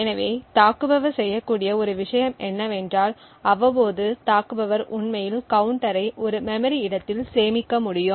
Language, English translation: Tamil, So, one thing that the attacker could do is that periodically the attacker could actually store the counter in a memory location